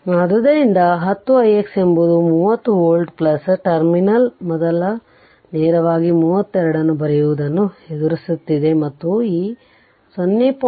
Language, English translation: Kannada, So, because 10 i x we got thirty volt plus terminal is encountering first directly writing that 32 right and, this 0